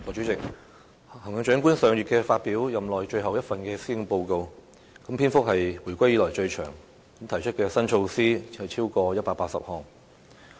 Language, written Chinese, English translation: Cantonese, 代理主席，行政長官上月發表任內最後一份施政報告，篇幅是自回歸以來最長的，提出的新措施超過180項。, Deputy President the last Policy Address delivered by the Chief Executive last month in his tenure is the longest one since the reunification with over 180 new measures